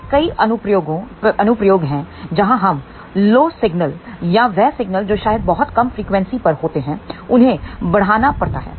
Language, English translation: Hindi, There are many applications where we have to amplify a very low signal and that signal maybe at a very low frequency